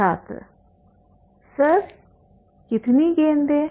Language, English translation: Hindi, Sir, how many balls